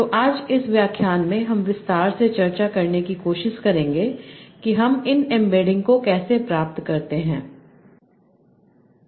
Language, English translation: Hindi, So, today in this lecture we will try to discuss in detail how do we obtain these embeddings